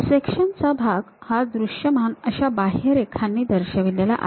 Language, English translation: Marathi, Sectional area is bounded by a visible outline